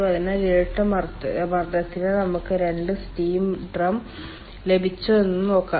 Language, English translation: Malayalam, so let us see that for dual pressure we have got two steam drum